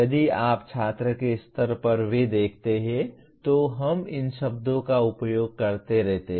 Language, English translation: Hindi, If you look at even at student’s level, we keep using these words